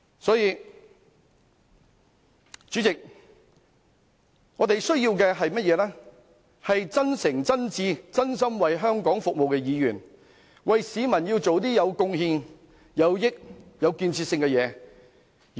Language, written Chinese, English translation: Cantonese, 因此，代理主席，我們需要的是真誠、真摯、真心為香港服務的議員，為市民做些有貢獻、有裨益、有建設性的事情。, Hence Deputy President we need Members who serve Hong Kong sincerely earnestly and truthfully doing constructive things that will mean contribution to and benefit members of the public